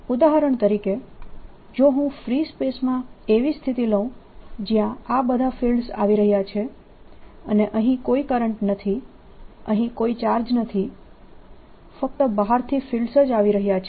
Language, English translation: Gujarati, for example, if i were to take a situation in free space, ah, let's see in, ah, ah, i mean some space where all these fields are coming and there's no current here, no charge here, only fields are coming from outside